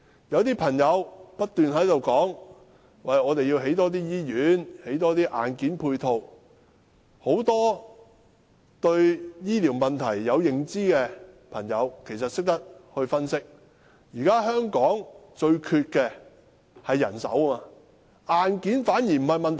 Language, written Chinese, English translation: Cantonese, 有些人不斷說政府要多興建醫院，多興建硬件配套，但對醫療問題有認知的人分析，香港現在最缺乏的是人手，硬件反而不是問題。, Some people kept saying that the Government should build more hospitals and hardware facilities but according to the analysis of people well versed in the health care issue the problem actually lies in the shortage of manpower instead of hardware